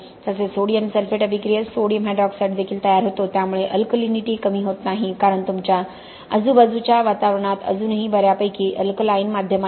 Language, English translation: Marathi, Now in the case of sodium sulphate attack you are also producing sodium hydroxide, so the alkalinity loss is not that great, okay because your surrounding environment still has a fairly alkaline medium